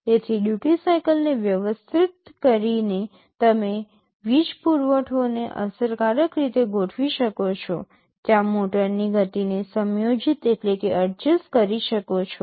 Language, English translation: Gujarati, So, by adjusting the duty cycle you are effectively adjusting the power supply, thereby adjusting the speed of the motor